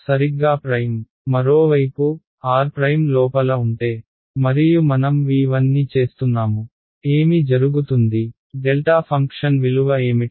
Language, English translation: Telugu, Prime exactly, on the other hand if r prime were inside here and I am integrating over v 1, what will happen what is the value of the delta function